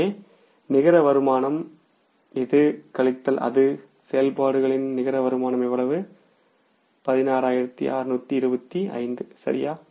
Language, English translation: Tamil, So, net income this minus this, net income from the operations works out as how much